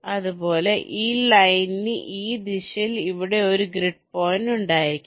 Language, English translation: Malayalam, for this line, there may be one grid point here and there can be some grid points here right now